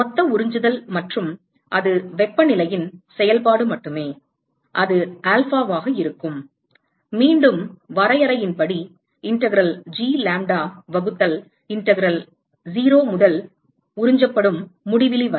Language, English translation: Tamil, Total absorptivity, and that will be alpha which is only a function of temperature, once again by definition will be integral G lambda divided by integral 0 to infinity absorbed